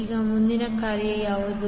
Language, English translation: Kannada, Now, what is the next task